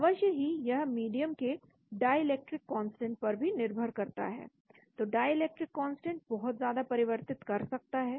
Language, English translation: Hindi, Of course this is dependent on the dielectric constant of the medium, so dielectric constant can vary dramatically